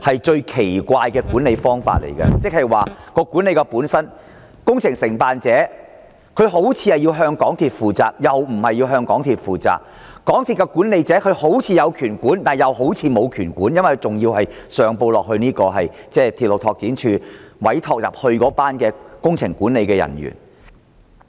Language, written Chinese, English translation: Cantonese, 這是一種十分奇怪的做法，因為工程承辦商似乎須向港鐵公司負責，也似乎不用向港鐵公司負責；港鐵公司的管理層似乎有管理權，也似乎沒有，因為它還要上報鐵路拓展處委託的工程管理人員。, This approach is rather unusual because it seems as if the contractor is or is not accountable to MTRCL while on the other hand MTRCLs management seems to have or not have the power to supervise the contractor because and it still has to report to the engineers engaged by the Railway Development Office RDO